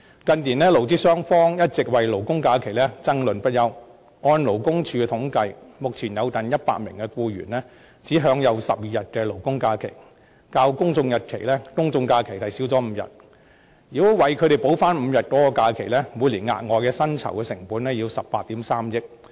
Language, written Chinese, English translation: Cantonese, 近年，勞資雙方一直為勞工假期爭論不休，根據勞工處的統計，目前有近100萬名僱員只享有12天勞工假期，較公眾假期少5天，如果為他們補回5天假期，每年所需的額外薪酬成本是18億 3,000 萬元。, Employers and employees have been embroiled in endless arguments over the issue of labour holidays in recent years . According to the statistics of the Labour Department there are currently nearly 1 million employees who are only entitled to 12 days of labour holidays a year which are five days less than general holidays . In order to make labour holidays align with general holidays so that these employees will be entitled to five more days of holidays a year some additional annual salary costs of 1.83 billion will be incurred